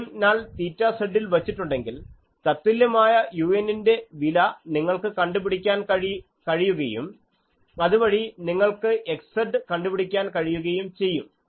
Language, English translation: Malayalam, If the beam null is placed at theta z, then the corresponding value of u you can find and then x z you can find